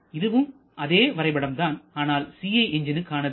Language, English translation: Tamil, This is the same diagram, but for a 4 stroke CI engine